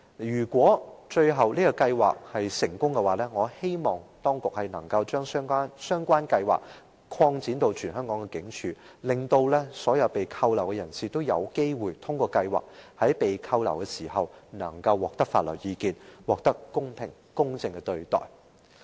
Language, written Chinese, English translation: Cantonese, 如果計劃最終成功，我希望當局可以把計劃擴展至全香港所有警署，讓所有被拘留人士也有機會透過計劃，在拘留期間獲取法律意見，得到公平、公正的對待。, If the scheme is proved successful eventually I hope the authorities will expand the scheme to cover all police stations in Hong Kong to enable all detainees to have access to legal advice during their detention so that they will be treated fairly and justly